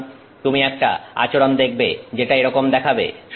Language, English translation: Bengali, So, you may see a behavior that begins to look like that